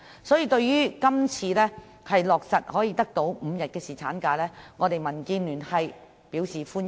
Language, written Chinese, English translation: Cantonese, 所以，對於今次可以落實5天侍產假，民建聯表示歡迎。, Hence this time DAB welcomes the implementation of five - day paternity leave